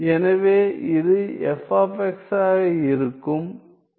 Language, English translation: Tamil, So, this will be f of x